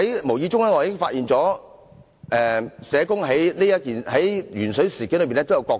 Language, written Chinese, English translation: Cantonese, 無意中，我發現社工在鉛水事件中亦有其角色。, In the process I unintentionally found that social workers also have a role to play in the lead - in - water incident